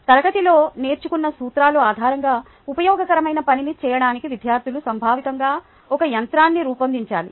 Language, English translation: Telugu, students need to conceptually design a machine to do something useful based on the principles learnt in class